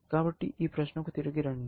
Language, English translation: Telugu, So, let me get back to this question